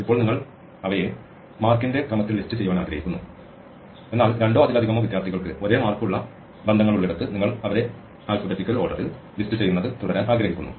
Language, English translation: Malayalam, Now, you want to list them in order of marks, but where there are ties where two or more students have the same marks you want to continue to have them listed in alphabetical order